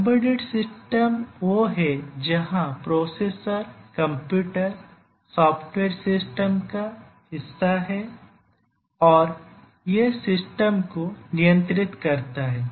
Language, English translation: Hindi, The embedded systems are the ones where the processor, the computer, the software is part of the system and it controls the system